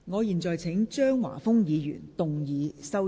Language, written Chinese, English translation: Cantonese, 我現在請張華峰議員動議修正案。, I now call upon Mr Christopher CHEUNG to move his amendment